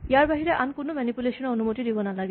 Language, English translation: Assamese, Other than this, no other manipulation should be allowed